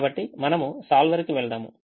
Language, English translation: Telugu, so we move to the solver